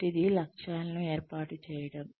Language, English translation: Telugu, The first one is, setting up objectives